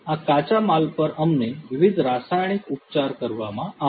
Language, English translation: Gujarati, These raw materials we would be subjected to different chemical treatment